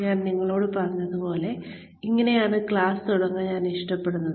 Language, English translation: Malayalam, Like I told you this is how I like to start, the class with